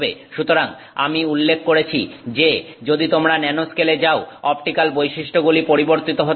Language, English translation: Bengali, So, I mentioned that if you go to the nanoscale the optical properties can be changed